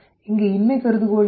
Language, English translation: Tamil, What is the null hypothesis